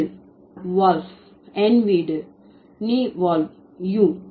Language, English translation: Tamil, House is wulb, my house is ne, walt, wu